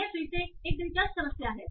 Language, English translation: Hindi, , it's again interesting problem